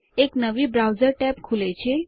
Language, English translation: Gujarati, Click on it A new browser tab opens